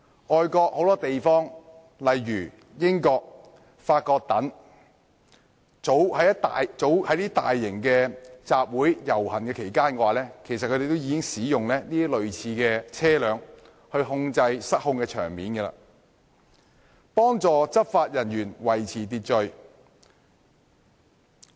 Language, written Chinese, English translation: Cantonese, 外國許多地方，例如英國、法國等，早已在大型集會或遊行期間使用類似的車輛處理失控的場面，幫助執法人員維持秩序。, In many foreign places such as the United Kingdom and France similar vehicles have already been used for long to handle situations that have run out of control and help law enforcement officers maintain order in large assemblies or processions